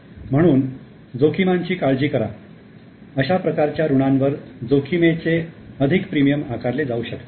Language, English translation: Marathi, So, to take care of risk, risk premium can be charged on such types of loans